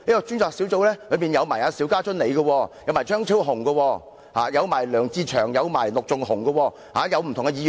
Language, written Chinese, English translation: Cantonese, 專責小組成員包括張超雄議員、梁志祥議員、陸頌雄議員和我。, Members of the Task Force include Dr Fernando CHEUNG Mr LEUNG Che - cheung Mr LUK Chung - hung and I